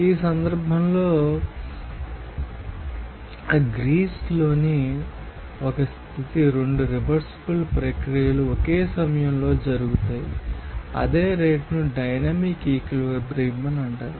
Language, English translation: Telugu, In this case, you will see that the state in Greece, the two reversible processes will occur at the same time rate, the same rate that is called dynamic equilibrium